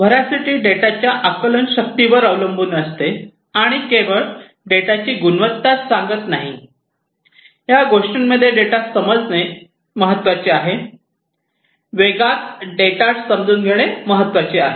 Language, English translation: Marathi, Veracity deals with the understandability of the data and not just the quality of the data, understanding the data is important in this thing; understanding the data is important in velocity